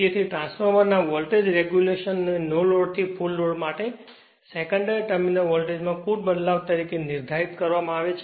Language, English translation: Gujarati, Therefore, the voltage regulation of transformer is defined as the net change in the secondary terminal voltage from no load to full load right